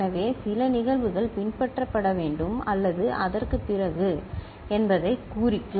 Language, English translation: Tamil, So, that could indicate that certain events are to follow or just after that, ok